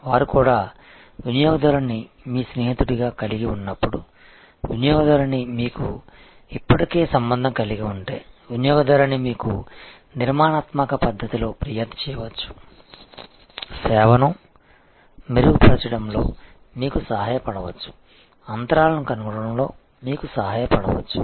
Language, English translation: Telugu, They may also very, this is when they have the customer as your friend, if the customer you have already have a relationship, the customer may complain in a constructive manner to help you to improve the service, to help you to find the gaps